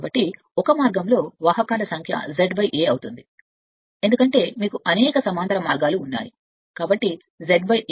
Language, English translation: Telugu, And so number of conductors in one part will be Z upon A right because a you have A number of parallel path so Z upon A